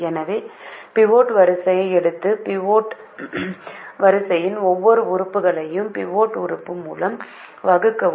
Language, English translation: Tamil, so now take the pivot rho and divide every element of the pivot rho by the pivot element